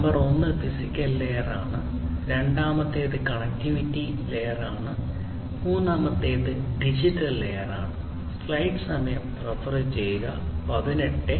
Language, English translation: Malayalam, Number one is the physical layer, second is the connectivity layer and the third is the digital layer